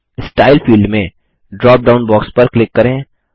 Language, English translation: Hindi, In the Style field, click the drop down box